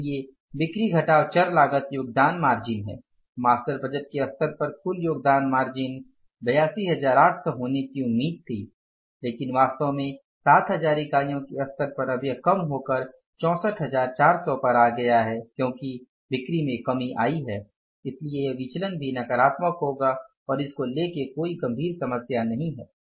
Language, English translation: Hindi, So, sales minus variable cost the contribution expected was 82,800 at the level of say master budget but actually at the level of 7,000 units now it has come down and it will come down so because sales have come down so it is 64,400 so this variance will also be negative and there is no special problem or any serious problem about it